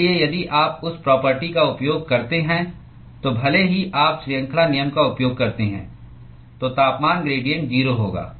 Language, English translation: Hindi, So, if you use that property then even if you use chain rule that temperature gradient will be 0